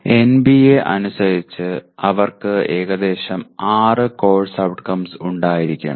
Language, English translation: Malayalam, As per NBA they should have about 6 course outcomes